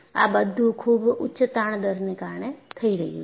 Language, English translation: Gujarati, So, these are all happening at very high strain rates